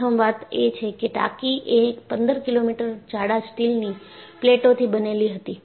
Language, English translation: Gujarati, First thing is, the tank was made of 15 millimeter thick steel plates